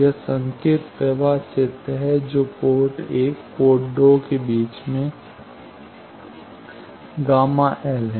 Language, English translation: Hindi, This is the signal flow graph that port 1 site, port 2 site and gamma l in between